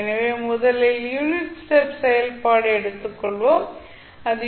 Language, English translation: Tamil, So, first is let us say unit step function so that is ut